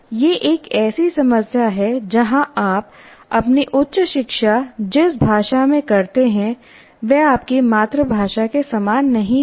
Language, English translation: Hindi, This is a problem where the language in which you do your higher education is not the same as your